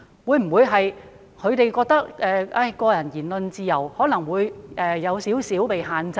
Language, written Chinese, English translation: Cantonese, 他們會否覺得個人的言論自由或會稍為受到限制？, Would they feel that their freedom of speech might be slightly restricted?